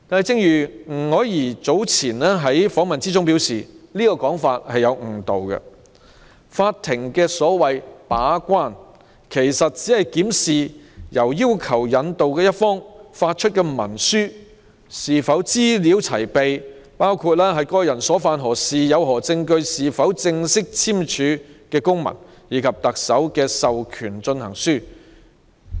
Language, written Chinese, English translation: Cantonese, 正如吳靄儀女士早前表示，這個說法有誤導作用，所謂"把關"，法庭只是檢視由要求引渡一方發出的文書是否資料齊備，包括當事人所犯何事、有何證據、有否正式簽署的公文，以及特首簽署的授權進行書。, As Dr Margaret NG said earlier this was a misleading statement . In playing the so - called gatekeepers role the court only examines whether the documents issued by the party requesting extradition are complete including the acts committed by the parties and the evidence and whether there are officially signed documents and an authority to proceed signed by the Chief Executive